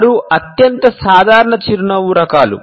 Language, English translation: Telugu, Six most common types of smile